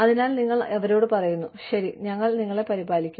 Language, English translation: Malayalam, So, you tell them that, okay, we will take care of you